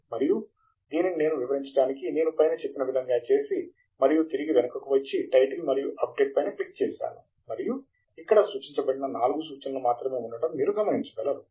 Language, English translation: Telugu, And I would just do that to illustrate, and come back, and click on the Title and Update, and you would see that only four references are present which are been referred here